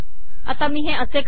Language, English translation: Marathi, Let me do it as follows